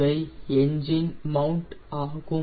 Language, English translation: Tamil, these are the engine mounts